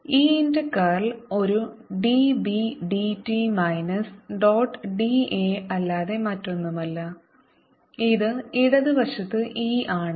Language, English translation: Malayalam, curl of e dot d a, curl of e is nothing but d b, d t it with a minus sign, dot d a, and this is e